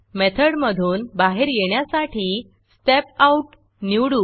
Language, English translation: Marathi, Let me choose Step Out to come out of the method